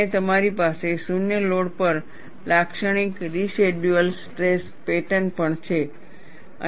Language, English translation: Gujarati, And, you also have, the typical residual stress pattern at zero load